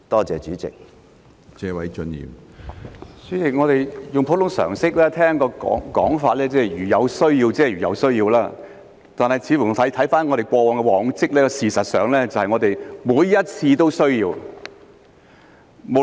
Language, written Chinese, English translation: Cantonese, 主席，我們用普通常識聽到的講法是"如有需要"，但觀乎過往的往績，事實上每次都有需要。, President deducing by common sense what we heard is when necessary . However judging from the previous cases it is actually necessary to invite overseas judges each and every time